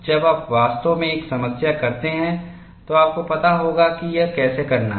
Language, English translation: Hindi, When you actually do a problem, you will know how to do it